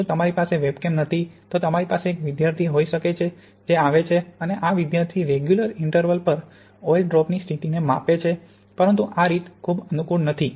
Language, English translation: Gujarati, If you do not have a webcam then you can have a student who comes in and measures the position of the drop at regular intervals but that is not quite so convenient